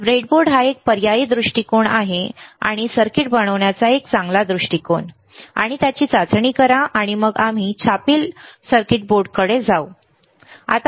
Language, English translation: Marathi, So, breadboard is an alternative approach is a better approach to making the circuit, and test it and then we move on to the printed circuit board, all right